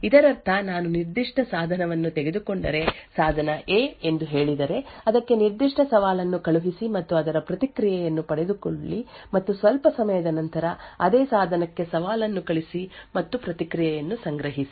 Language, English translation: Kannada, This means that if I take a particular device say device A, send it a particular challenge and obtain its response and after some time send the challenge to the same device and collect the response